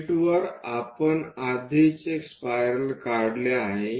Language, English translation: Marathi, On sheet, we have already drawn a spiral